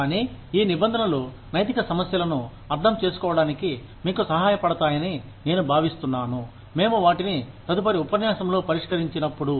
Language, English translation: Telugu, But, I think, these terms, will help you understand, ethical issues, when we address them, in the next lecture